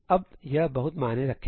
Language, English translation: Hindi, Now it will make a lot of sense